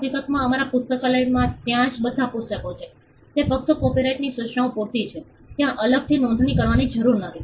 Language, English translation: Gujarati, In fact, all the books that are there in our library, it just the copyright notices sufficient there is no need to separately register that